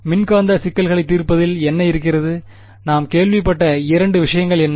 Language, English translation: Tamil, What is the in solving electromagnetic problems what are the two things we have heard of